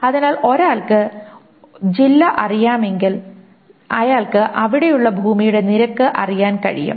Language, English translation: Malayalam, So if one knows the district, then one can know the rate of the land that is being there